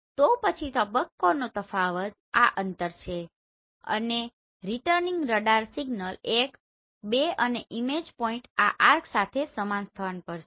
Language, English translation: Gujarati, So here the phase difference is this distance and the returning radar signal is 1 and 2 and image point at the same location along this arc